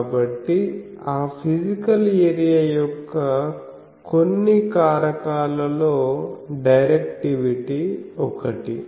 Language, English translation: Telugu, So, some factor of that physical area will be the directivity